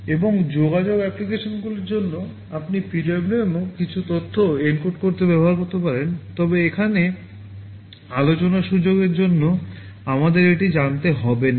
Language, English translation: Bengali, And for communication applications you can also use PWM to encode some information, but for the scope of discussion here we do not need to know that